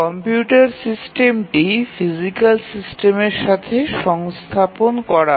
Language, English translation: Bengali, So, the computer system is embedded within the physical system